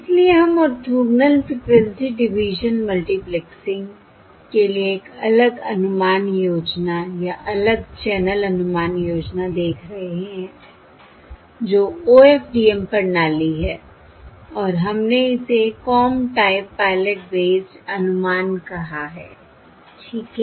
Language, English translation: Hindi, So we are looking at a different estimation scheme, or different channel estimation scheme for Orthogonal Frequency Division Multiplexing, that is, OFDM system, and we called this the Comb Type Pilot based estimate, right